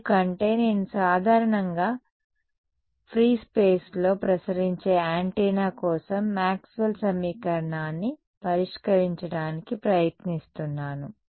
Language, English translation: Telugu, Because I am trying to solve Maxwell’s equation for an antenna usually radiating in free space